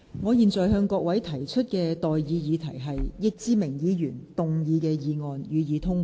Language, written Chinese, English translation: Cantonese, 我現在向各位提出的待議議題是：易志明議員動議的議案，予以通過。, I now propose the question to you and that is That the motion moved by Mr Frankie YICK be passed